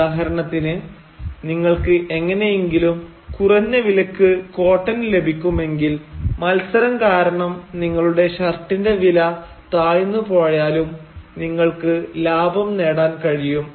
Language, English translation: Malayalam, So, for instance, if you can somehow procure cotton at a reduced price then even if the final price of your shirt has fallen down due to competition you will still be able to make a profit